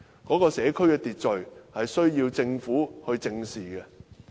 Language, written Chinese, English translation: Cantonese, 該社區的秩序問題是需要政府正視的。, The Government needs to face up to the social order problem of this district